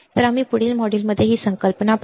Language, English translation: Marathi, So, we will see this concept in the next module